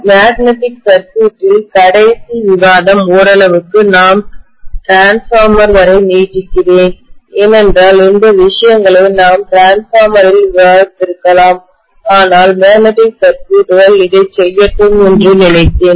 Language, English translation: Tamil, The last discussion in magnetic circuit further to some extent I am infringing into transformer because these things we could have discussed in transformer but I thought let me do it along with magnetic circuits